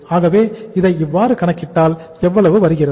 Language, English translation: Tamil, So if you work it out this works out how much